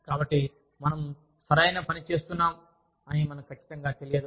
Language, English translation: Telugu, So, we are not sure, that we are doing, the right thing